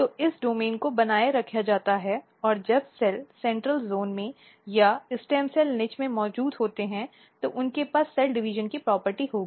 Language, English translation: Hindi, So, this domain is maintained and when the cells are present in the central zone or in the stem cell niche, they will have a property of cell division